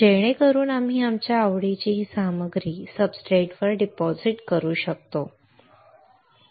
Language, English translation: Marathi, So, that we can deposit this material of our interest onto the substrate